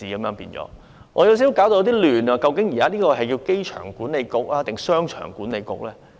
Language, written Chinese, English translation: Cantonese, 我感到有少許混淆，究竟這是機場管理局還是"商場管理局"呢？, I feel a little bit confused . Is it an airport authority or a Commercial Authority?